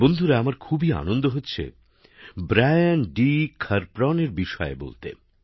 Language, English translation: Bengali, Friends, I am very happy to tell you about Brian D